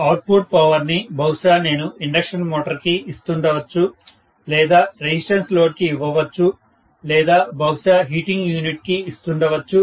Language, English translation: Telugu, Output power, maybe I am giving it to an induction motor, I am giving it to a resistive load, I am giving it to probably a heating unit, maybe I am giving it to whatever apparatus I am having